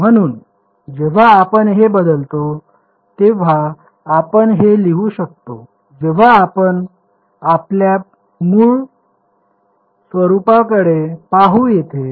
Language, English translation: Marathi, So, when we substitute this we can write this as let us look back at our original form over here